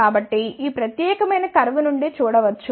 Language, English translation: Telugu, So, that can be seen from this particular curve